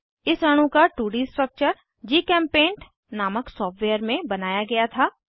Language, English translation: Hindi, 2D structure of this molecule was drawn in software called GChemPaint